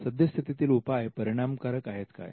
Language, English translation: Marathi, Have the existing solutions been successful